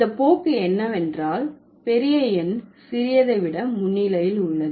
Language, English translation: Tamil, The tendency is that the larger number precedes the smaller